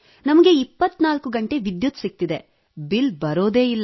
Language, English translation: Kannada, We are getting electricity for 24 hours a day…, there is no bill at all